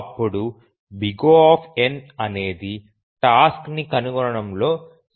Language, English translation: Telugu, N is the complexity of finding the task